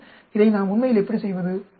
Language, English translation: Tamil, Then, how do we do this actually